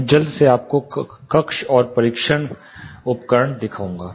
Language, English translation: Hindi, I will quickly show you the chambers and the testing devices